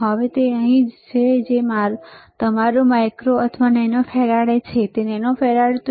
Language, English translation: Gujarati, So now, it is here which is your micro or nano farad, it is nano farad